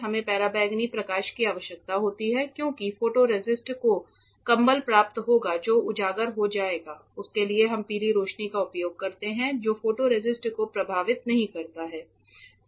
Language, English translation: Hindi, Yes we do not need ultraviolet light; light in that environment because the photoresist will get blanket exposed for that we use yellow light which does not affect the photoresist